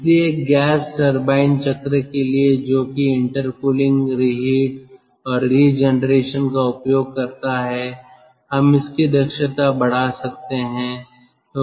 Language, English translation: Hindi, so for a gas turbine cycle, utilizing intercooling, reheat and regeneration, we can increase its efficiency